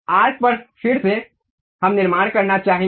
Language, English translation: Hindi, Again on arc we would like to construct